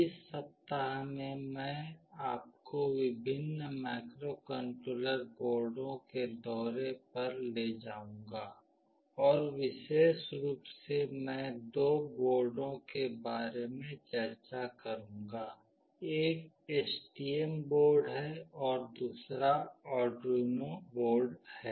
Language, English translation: Hindi, In this week I will take you to a tour of various Microcontroller Boards and specifically I will be discussing about two boards; one is STM board and another is Arduino board